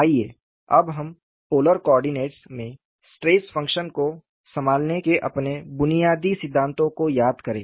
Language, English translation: Hindi, Now, let us brush up our fundamentals in handling stress function in polar coordinates